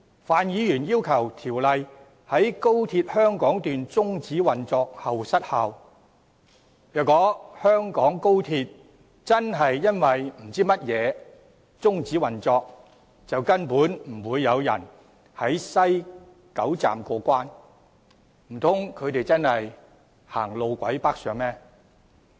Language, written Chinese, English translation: Cantonese, 范議員要求條例在高鐵香港段終止運作後失效，但如果香港高鐵真的不知因何故終止運作，根本不會有人在西九龍站過關，難道他們會走路軌北上嗎？, Mr FAN requests that the Ordinance expire upon termination of operation of the Hong Kong Section of XRL . But if the operation of XRL of Hong Kong really terminates for reasons unknown actually no one will go through clearance at the West Kowloon Station . Will they possibly head north along the track on foot?